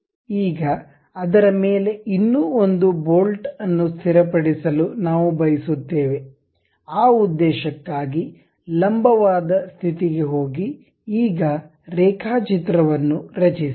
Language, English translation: Kannada, Now, on that we would like to have a one more bolt to be fixed; for that purpose go to normal, now draw a sketch